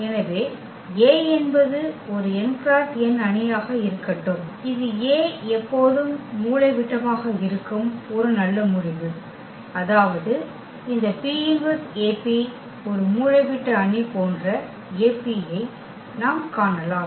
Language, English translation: Tamil, So, let A be an n cross n matrix and that is a nice result that A is always diagonalizable; that means, we can find such A P such that this P inverse AP is a diagonal matrix